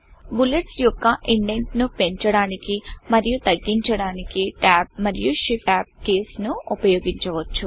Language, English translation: Telugu, You can use Tab and shift tab keys to increase and decrease the indent for the bullets respectively